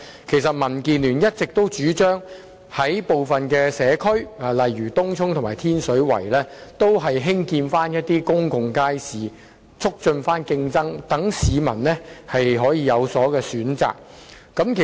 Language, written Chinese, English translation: Cantonese, 其實民建聯一直主張在部分社區如東涌和天水圍興建公眾街市，以促進競爭，讓市民可以有所選擇。, In fact DAB has long been advocating the construction of public markets in some of the communities such as Tung Chung and Tin Shui Wai with a view to promoting competition and giving more choices to members of the public